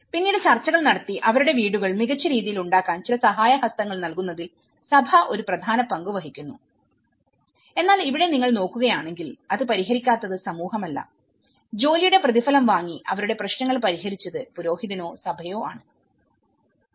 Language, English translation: Malayalam, And then later on, the church play an important role in negotiating and providing certain helping hand to make their houses you know, in a better way but then here, if you look at it, it is not the community who have not solved it, it is the priest or the church who have solved their problems by receiving a payment for the work, they do for their own benefit